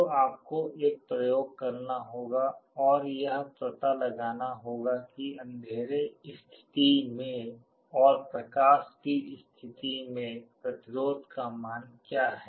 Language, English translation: Hindi, So, you will have to do an experiment and find out what are the resistance values in the dark state and in the light state